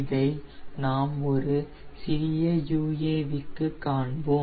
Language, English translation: Tamil, so we will be doing this for a small uav